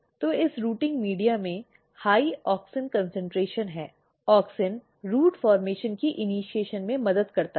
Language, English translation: Hindi, So, this rooting media has high auxin concentration, auxin helps in the initiation of root formation